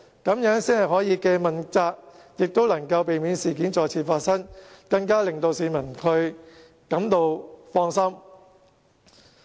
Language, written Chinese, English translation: Cantonese, 這樣才可以既問責，亦能夠避免事件再次發生，令市民更加感到放心。, It is only in this way that we can uphold the accountability system and prevent the occurrence of similar incidents and further reassure members of the public